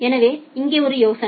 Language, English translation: Tamil, So, here is the idea